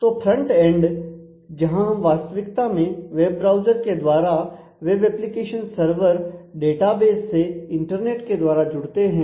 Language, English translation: Hindi, So, the frontend where we actually interact are web browsers and that connect to the web application server the database everything through an internet